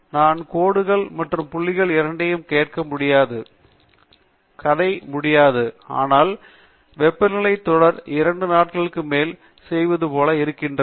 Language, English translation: Tamil, I can also ask for both lines and points and so on; the story is endless; but this is how the temperature series looks like over two days of recording